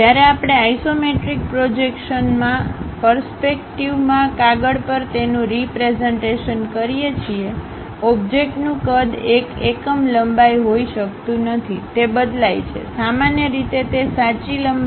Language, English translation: Gujarati, When we are representing it on a paper in the perspective of isometric projection; the object size may not be one unit length, it changes, usually it change to 0